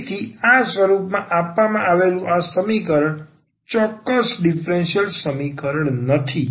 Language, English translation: Gujarati, Of course, so, this equation given in this form is not an exact differential equation